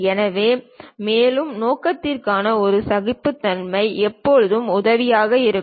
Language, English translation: Tamil, So, further purpose these tolerances are always be helpful